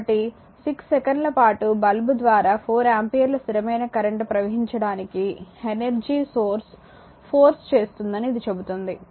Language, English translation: Telugu, So, and another thing is and a energy source your forces a constant current of 4 ampere for 6 second to flow through a lamp